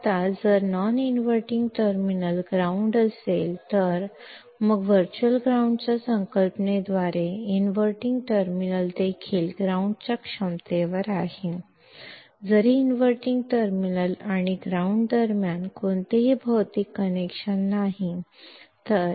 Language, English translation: Kannada, So, now if the non inverting terminal is grounded; then by the concept of virtual ground the inverting terminal is also at ground potential; though there is no physical connection between the inverting terminal and ground